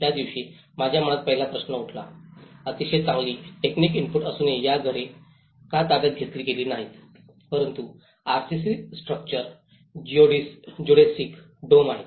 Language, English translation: Marathi, The first question in my mind rose on that day, why these houses were not occupied despite of having a very good technical input but is RCC structures Geodesic Domes